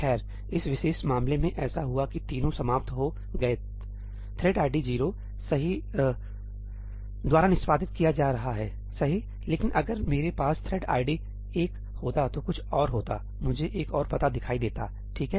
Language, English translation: Hindi, Well, in this particular case what happened was that all three of them ended up being executed by thread id 0, right; but if I had thread id 1 executing something else, I would have seen another address, right